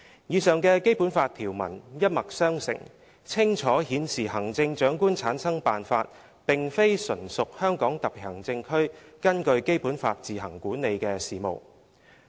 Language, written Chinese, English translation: Cantonese, 以上的《基本法》條文一脈相承，清楚顯示行政長官產生辦法並非純屬香港特別行政區根據《基本法》自行管理的事務。, The above provisions of the Basic Law have the same origin and they clearly show that the method for the selection of the Chief Executive is not a matter which the Hong Kong Special Administrative Region administers on its own in accordance with the Basic Law